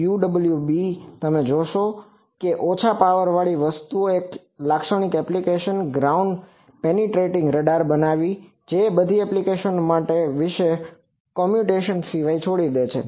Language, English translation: Gujarati, UWB you see one typical application of low power things are making ground penetrating radar which all the applications I have said about this except communication